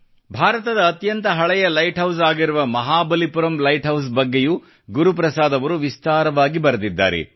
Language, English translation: Kannada, Guru Prasad ji has also written in detail about the oldest light house of India Mahabalipuram light house